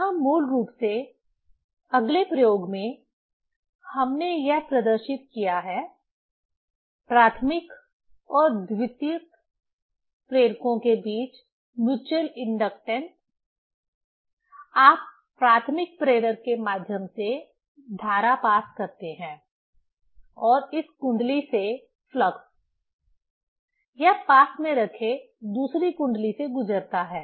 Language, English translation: Hindi, Here basically, at next experiment, we have demonstrated this; the mutual inductance between primary and secondary inductors; primary inductor, you pass current through it and the flux from this coil, it passes through the second coil placed near it